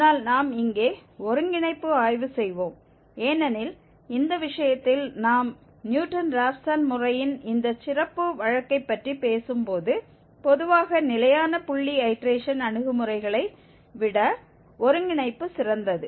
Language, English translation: Tamil, But we will study here the convergence because in this case when we are talking about this special case of Newton Raphson method the convergence is better than the fixed point iteration approaches in general